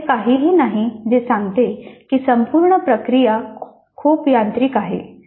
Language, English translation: Marathi, There is nothing which says that the entire process is too mechanical